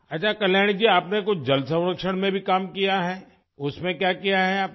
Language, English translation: Hindi, Okay Kalyani ji, have you also done some work in water conservation